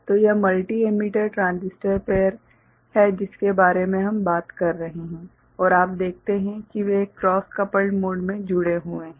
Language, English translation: Hindi, So, this is the multi emitter transistor pair that we have been talking about and you see that they are connected in a cross coupled mode